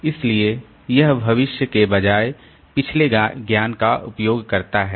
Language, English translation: Hindi, So, it uses past knowledge rather than future